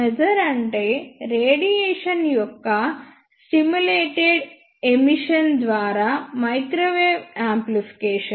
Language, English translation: Telugu, Maser is microwave amplification by stimulated emission of radiation